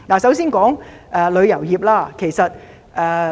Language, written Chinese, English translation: Cantonese, 首先談談旅遊業。, First I will talk about the tourism industry